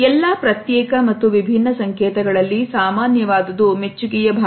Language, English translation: Kannada, Even though what is common in all these isolated and different signals is a sense of appreciation